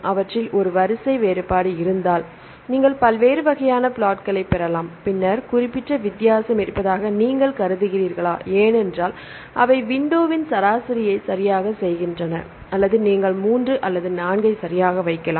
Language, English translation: Tamil, Then you can get different types of plot if there is a one sequence difference, then do you consider there is specific a difference because they make the window average right either you can 3 or 4you can put right